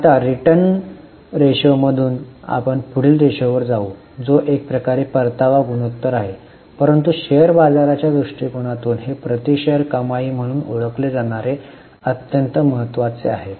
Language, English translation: Marathi, So, now from return ratios, we will go to next ratio which is in a way a return ratio but this is extremely important from stock market angle known as earning per share